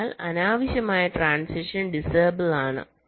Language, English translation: Malayalam, so unnecessary transitions are disabled